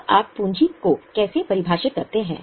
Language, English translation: Hindi, Now, how do you define capital